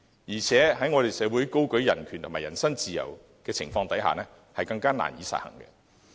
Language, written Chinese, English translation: Cantonese, 況且，我們的社會高舉人權和人身自由，更加難以實行。, In this city where human rights and personal freedom are held high it will be difficult to implement this proposal